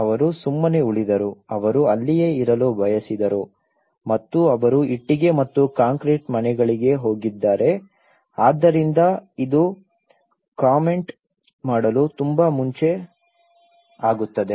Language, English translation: Kannada, They just stayed, they wanted to stay there and they have gone for the brick and concrete houses so this is too early to comment